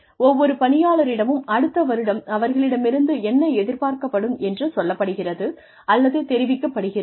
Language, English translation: Tamil, Every employee is asked, or informed as to, what is expected of her or him, in the next year